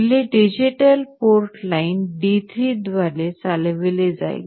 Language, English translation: Marathi, The relay will be driven by digital port line D3